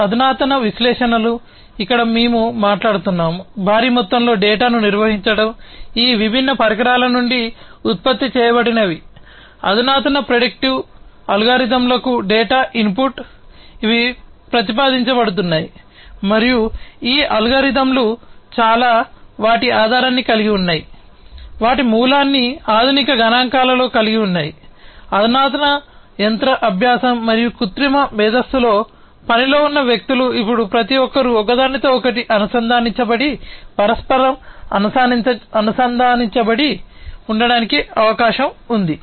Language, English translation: Telugu, Advanced analytics here we are talking about handling huge amount of data, that are generated from these different devices the data are input to the advanced predictive algorithms, that are being proposed and many of these algorithms, have their base, have their origin in advanced statistics in advanced machine learning and artificial intelligence, people at work now it is possible that everybody is connected, interconnected with one another